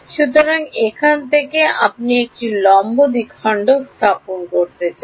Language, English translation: Bengali, So, now, you want to put a perpendicular bisector from